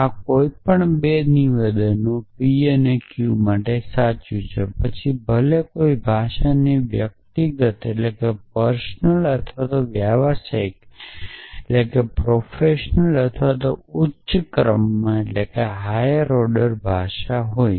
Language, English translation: Gujarati, So, this is true for any 2 statements p and q whether had any language personal or professional or high order language